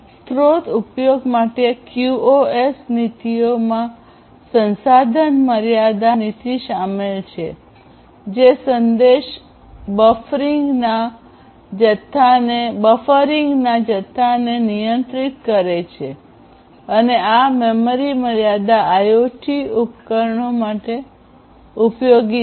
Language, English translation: Gujarati, QoS policies for resource utilization include resource limit policy, which controls the amount of message buffering and this is useful for memory constraint IoT devices